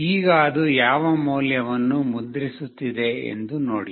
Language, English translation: Kannada, Now see what value it is printing